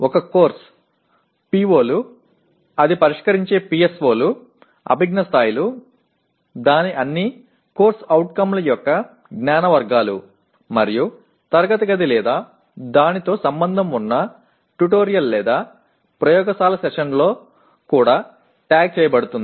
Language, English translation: Telugu, A course is also tagged with the POs, PSOs it addresses, cognitive levels, knowledge categories of all its COs and classroom or tutorial or laboratory sessions that are associated with that